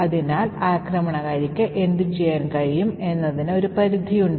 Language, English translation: Malayalam, Thus, there is a limitation to what the attacker can do